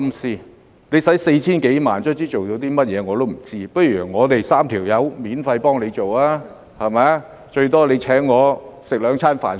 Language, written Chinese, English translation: Cantonese, 花了 4,000 多萬元，終於做了甚麼我都不知道，不如我們3人免費幫政府做，最多政府請我們吃兩頓飯......, I have no idea what has been achieved in the end after some 40 million was spent . What if the three of us help the Government with this for free and the Government only needs to at most buy us meals in return?